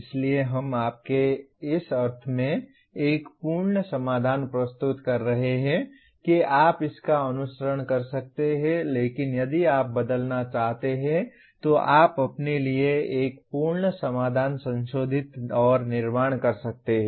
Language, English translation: Hindi, So we are presenting you a complete solution in the sense you can follow this but if you want to change you can modify and build a complete solution for yourself